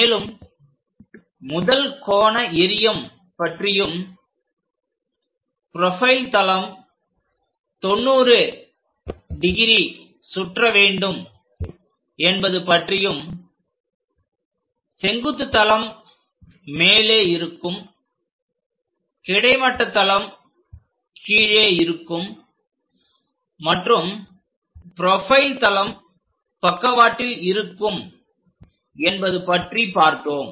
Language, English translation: Tamil, There we learned about first angle projection in which profile plane will be rotated by 90 degrees, so that vertical plane will be at top level, horizontal plane will be at bottom level and profile plane will be on the right hand side